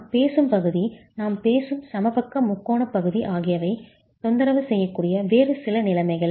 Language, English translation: Tamil, Some other conditions where the region that we are talking of, the equilateral triangular region that we are talking of, can get disturbed